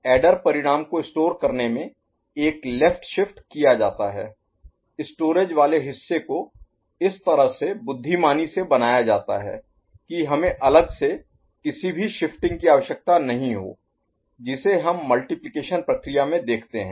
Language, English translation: Hindi, In storage of adder result, one left shift is made so, the storage part is made in such a manner, intelligent manner, that we do not require an any separate you know, shifting that we see in the multiplication process ok